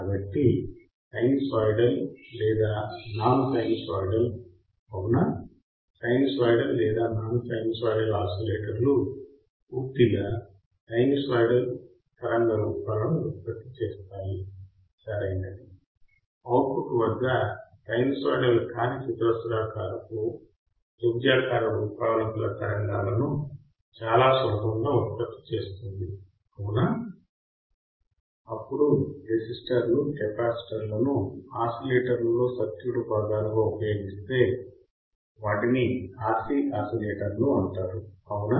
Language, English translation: Telugu, So, either sinusoidal or non sinusoidal, all right, sinusoidal or non sinusoidal oscillators produced purely sinusoidal waveforms, right, at the output non sinusoidal produce waveforms like square triangular wave etcetera easy very easy, right, then based on circuit components oscillators using resistors capacitors are called RC oscillators right resistors R capacitors is RC oscillators